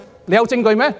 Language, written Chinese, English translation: Cantonese, 有證據嗎？, Are there any evidence?